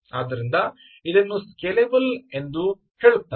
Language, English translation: Kannada, so people do say that this is a very scalable